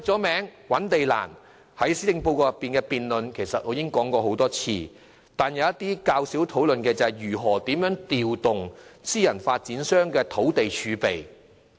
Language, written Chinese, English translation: Cantonese, 覓地難是眾所周知的問題，我在施政報告辯論中已多次提及，但大家較少討論如何調動私人發展商土地儲備的問題。, The difficulties in finding land is a problem known to all and I have repeatedly spoken on this during the debate on the Policy Address but seldom have we discussed the ways to make use of the land in the land reserve of private developers